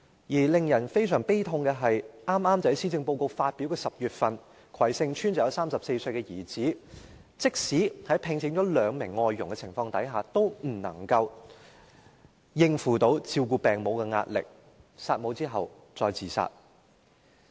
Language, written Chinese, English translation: Cantonese, 而令人感到非常悲痛的是，剛巧在施政報告發表的10月，葵盛邨便有一名34歲的兒子，即使聘請了兩名外傭，亦無法應付照顧病母的壓力，弒母後自殺。, It is most heart - rending that in October the same month when the Policy Address was presented a man aged 34 and living in Kwai Shing Estate was unable to cope with the pressure of looking after his sick mother even though he had already employed two foreign domestic helpers . He committed suicide after murdering his mother